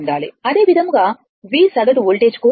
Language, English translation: Telugu, Similarly, for voltage V average